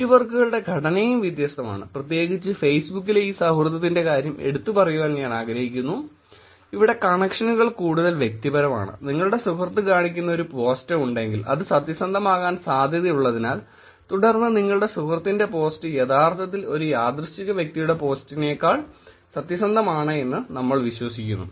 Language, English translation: Malayalam, And the structure of the networks have different, particularly I wanted to highlight this friendship thing in Facebook; the connections are more personal and if there is a post that shows up by your friend, there is some tendency that it is more likely to be truthful and then we you believe that your friend's post is actually more truthful than a random person's post